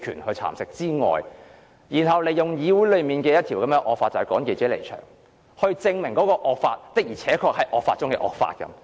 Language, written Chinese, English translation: Cantonese, 他因此引用《議事規則》內要求記者離場的惡法，證明該項惡法的確是惡法中的惡法。, He therefore invoked a draconian rule under RoP and requested the withdrawal of reporters proving that the draconian rule was the most draconian among all the draconian rules